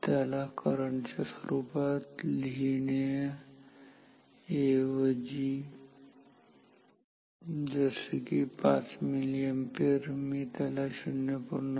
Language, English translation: Marathi, Instead of writing it in terms of current like 5 milliampere, I can write it as 0